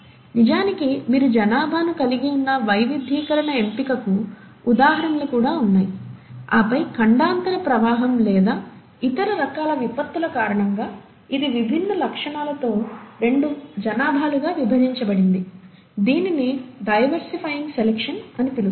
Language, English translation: Telugu, There are also examples of diversifying selection wherein you have originally your population, and then either because of a continental drift, or some other kind of catastrophe, this gets split into two populations with different characteristics and that is called as the diversifying selection